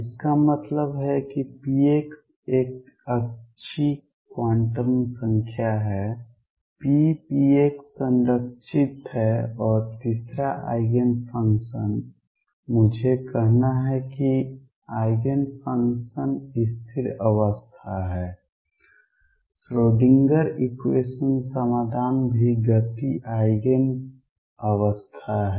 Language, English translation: Hindi, This means p x is a good quantum number p x is conserved and third Eigen function let me say Eigen function is the stationary state Schrödinger equation solutions are also momentum Eigen states